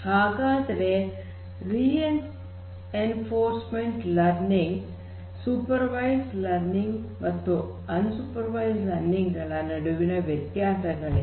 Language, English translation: Kannada, So, what are the differences between reinforcement learning, supervised learning and unsupervised learning